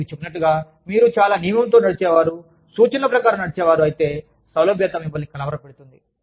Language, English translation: Telugu, Like i told you, if you are a very rule driven, instruction driven, person, then flexibility could confuse you